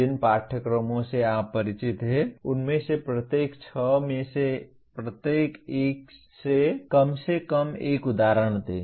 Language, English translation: Hindi, Give at least one example from each one of the six affective levels from the courses that you are familiar with